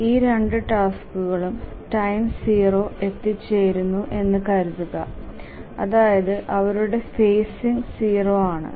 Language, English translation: Malayalam, Let's assume that both of these arrive at time zero, that is they have zero phasing